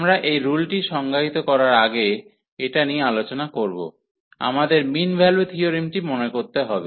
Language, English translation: Bengali, So, before we go to define this rule discuss this rule, we need to recall the mean value theorems